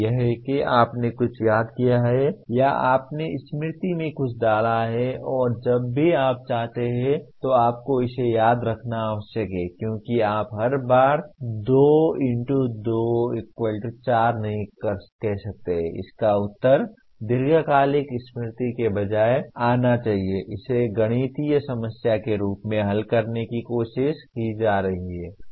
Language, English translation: Hindi, That is you have remembered something or you have put something in the memory and you are required to recall it whenever you want because you cannot each time any time say 2 * 2 = 4, the answer should come from the long term memory rather than trying to solve it as a mathematical problem